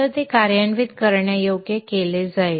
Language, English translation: Marathi, So that will be made executable